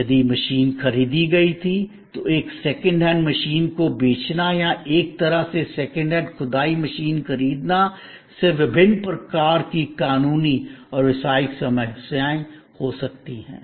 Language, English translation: Hindi, If the machine was purchased, then selling a second hand machine or buying a way second hand excavation machine may post different kinds of legal and business problems